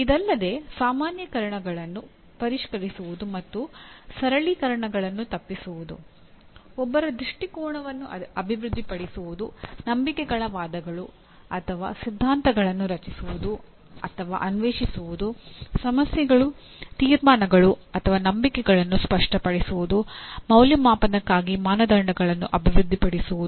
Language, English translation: Kannada, Further, refining generalizations and avoiding over simplifications; developing one’s perspective, creating or exploring beliefs arguments or theories; clarifying issues, conclusions or beliefs; developing criteria for evaluation